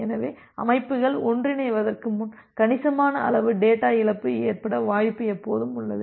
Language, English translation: Tamil, So, before the systems moves to the convergence there is always a possibility of having a significant amount of data loss